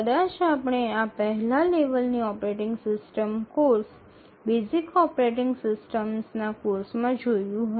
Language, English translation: Gujarati, So, this you might have already become familiar in your first level operating system course, the basic operating system course